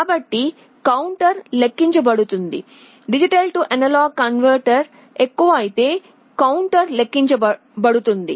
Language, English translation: Telugu, So, the counter will be counting up, if D/A converter become greater the counter will be counting down